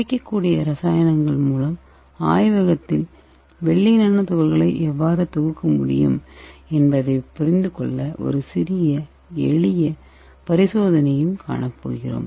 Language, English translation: Tamil, And we are also going to see a small simple experiment to understand how we can synthesis silver nanoparticles in a lab with the available chemicals